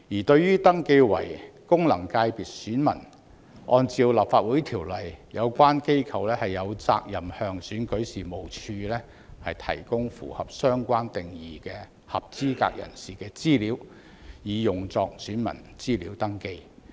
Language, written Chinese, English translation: Cantonese, 對於登記為功能界別選民，按照《立法會條例》，有關機構有責任向選舉事務處提供符合相關定義的合資格人士的資料以用作選民資料登記。, As for the registration as electors of FCs the body concerned is duty - bound to under the Legislative Council Ordinance provide the Registration and Electoral Office with information of eligible persons falling within the relevant definitions for the purpose of voter registration